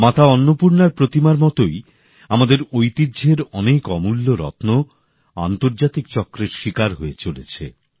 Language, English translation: Bengali, Just like the idol of Mata Annapurna, a lot of our invaluable heritage has suffered at the hands of International gangs